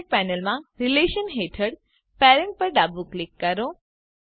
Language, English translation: Gujarati, Left click Parent under Relations in the Object Panel